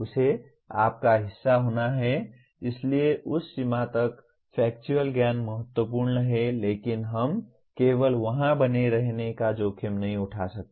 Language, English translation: Hindi, It has to be part of your, so to that extent factual knowledge is important but we cannot afford to remain only there